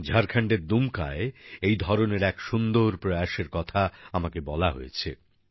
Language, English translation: Bengali, I was informed of a similar novel initiative being carried out in Dumka, Jharkhand